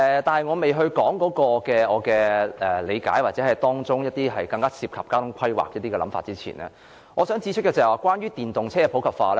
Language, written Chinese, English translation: Cantonese, 在我還沒提出我所理解的，或當中一些涉及交通規劃的想法前，我想先指出關於電動車的普及化問題。, Before I explain what I think about this including some thoughts on the transport planning I will first point out the problem associated with the popularization of EVs